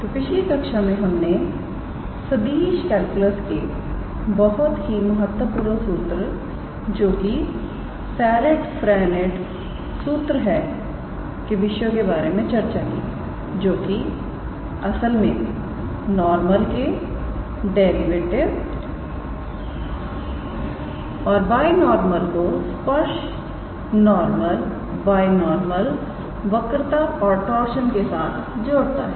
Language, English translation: Hindi, So, in the last class we were looking into the concepts of a very important formula in Vector Calculus which is Serret Frenets formula which actually connects the derivative of tangent normal and binormal with tangent normal binormal curvature and torsion